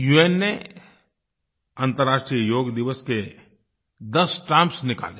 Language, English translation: Hindi, On the occasion of International Day of Yoga, the UN released ten stamps